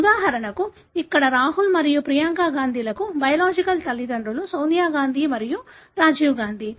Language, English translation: Telugu, So, for example here, the biological father for Rahul and Priyanka Gandhi are Sonia Gandhi and Rajiv Gandhi